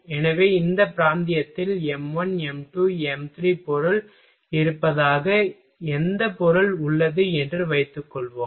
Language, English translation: Tamil, So, whatever material suppose that m1, m2, m3 material is there in this region